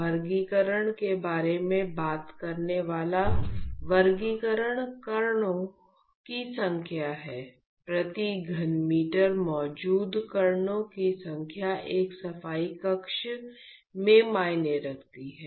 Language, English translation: Hindi, So, they the classification what talks about the classification is the number of particles the count of particles present per cubic meter is what counts in a cleanroom